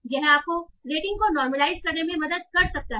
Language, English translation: Hindi, So this can help you normalize across the ratings